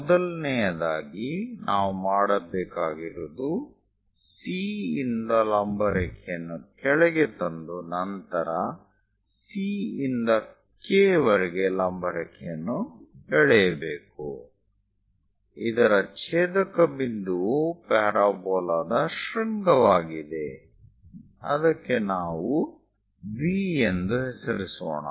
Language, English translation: Kannada, Further first of all what we have to do is, from C drop down a vertical line, from C all the way to K drop a vertical line; the intersection point is the vertex of the parabola, let us name it V